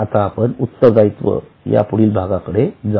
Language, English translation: Marathi, Now, let us go to the next part that is liability